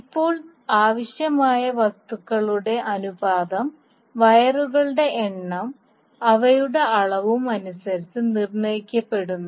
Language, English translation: Malayalam, Now the ratio of material required is determined by the number of wires and their volumes